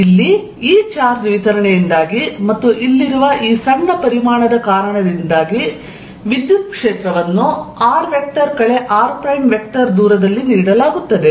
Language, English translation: Kannada, Due to this charge distribution here and due to this small volume here, the electric field is given by at a distance r minus r prime